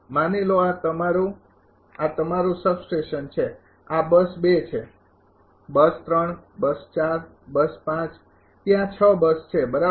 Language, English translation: Gujarati, Suppose, this is your this is your substation this is bus 2, bus 3, bus 4, bus 5 there are 6 bus right